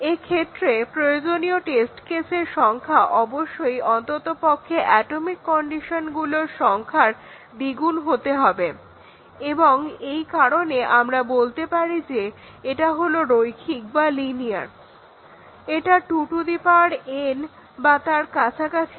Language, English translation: Bengali, The number of test cases required here would obviously, be at least twice as much as the number of atomic conditions and therefore, we can say that it is linear it is not like 2 to the power n, it will be 2 into n or near about that